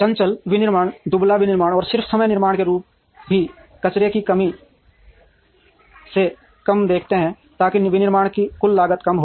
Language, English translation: Hindi, Agile manufacturing, lean manufacturing and the forms of just in time manufacturing also look at minimizing the waste, so that the total cost of manufacturing is reduced